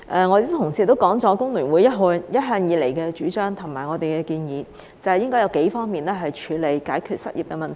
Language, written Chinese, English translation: Cantonese, 我的同事亦提到工聯會一向以來的主張和建議，即應該從數方面處理及解決失業問題。, My colleagues have also mentioned the proposals and recommendations that the Hong Kong Federation of Trade Unions HKFTU has long been advocating that is we should tackle and solve the unemployment problem in several respects